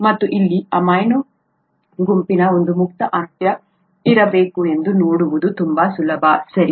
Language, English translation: Kannada, And also itÕs quite easy to see that there has to be one free end here of amino group, okay